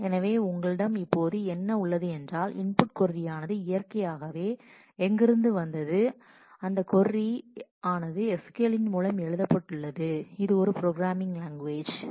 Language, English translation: Tamil, So, here what you have is this is where the input query comes in naturally it is written in terms of a in terms of SQL which is kind of a programming language